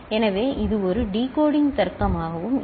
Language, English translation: Tamil, So, that could also be a decoding logic